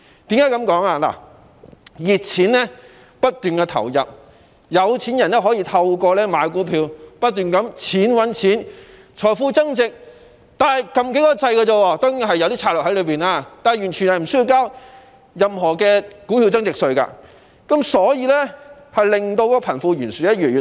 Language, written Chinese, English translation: Cantonese, 由於熱錢不斷流入，有錢人可以透過買股票，不斷"錢搵錢"，只須按些掣，財富便會增值——當中當然也涉及投資策略——但他們完全不用繳交股票增值稅，令貧富懸殊越來越嚴重。, With the continuous influx of hot money the rich can continue to make profits through buying stocks . They can increase their wealth by pressing a few buttons―this surely involves some investment strategies―but are not required to pay tax on stock gains . As a result there is a growing disparity between the rich and the poor